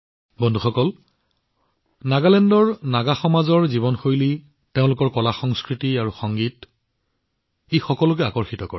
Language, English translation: Assamese, Friends, the lifestyle of the Naga community in Nagaland, their artculture and music attracts everyone